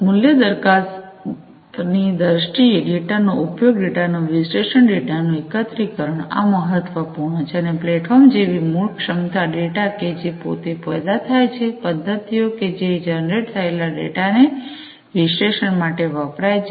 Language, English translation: Gujarati, In terms of the value proposition, the utilization of the data, the analysis of the data, the aggregation of the data, these are important and also the core competencies such as the platforms, the data that is generated by itself, the methods, that are used to analyze the data that is generated